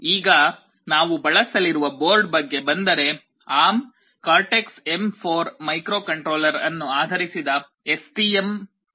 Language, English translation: Kannada, Now, coming to the board that we would be using, STM32 that is based on the ARM Cortex M4 microcontroller